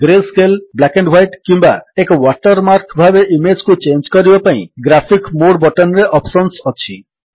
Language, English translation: Odia, The Graphics mode button has options to change the image into grayscale, black and white or as a watermark